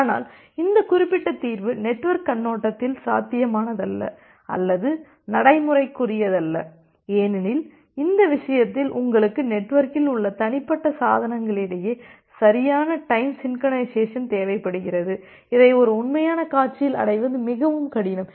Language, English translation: Tamil, But this particular solution is not very feasible or not very practical from a network perspective because in that case you require proper time synchronization among individual devices in the network, which is very difficult to achieve in a real scenario